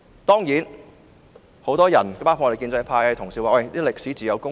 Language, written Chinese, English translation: Cantonese, 當然，很多人——包括建制派的同事——表示，歷史自有公論。, Of course many people including Honourable colleagues from the pro - establishment camp said that history will make a fair judgment